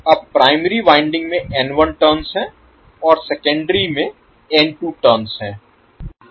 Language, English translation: Hindi, Now primary winding is having N 1 turns and secondary is having N 2 turns